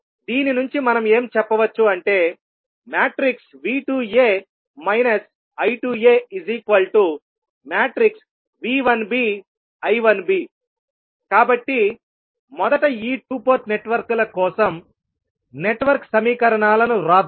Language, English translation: Telugu, So when we find out the value of V 1 that is V 1a plus V 1b, we will add both individual equations which we written for these two ports